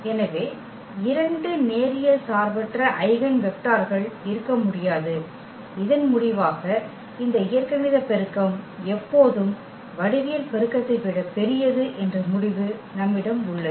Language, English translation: Tamil, So, there cannot be two linearly independent eigenvectors, that was that result says where we have that these algebraic multiplicity is always bigger than the geometric multiplicity